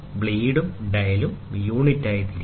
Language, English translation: Malayalam, The blade and the dial are rotated as the unit